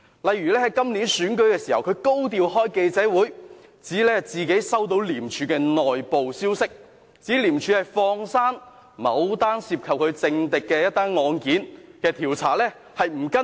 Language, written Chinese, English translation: Cantonese, 例如在今年選舉時，他高調召開記者招待會，指自己接獲廉署的內部消息，指廉署放過了某宗涉及其政敵的案件，不再跟進。, For example during the Legislative Council Election this year he convened a press meeting in a high - profile manner claiming that he had received some inside information of ICAC which suggested that ICAC had stopped following up a case involving a political opponent of him